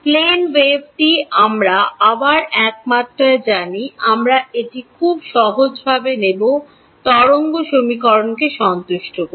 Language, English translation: Bengali, The plane wave we know again in one dimension we will just take it very simple satisfies the wave equation